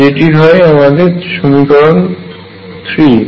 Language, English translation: Bengali, It is also in these equations